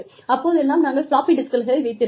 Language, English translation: Tamil, And then, we had these floppy disks